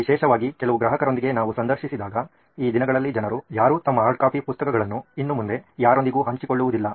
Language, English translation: Kannada, Especially few of our interviews with customers, the way people are sharing these days, no one is no longer sharing their hardcopy books with anyone anymore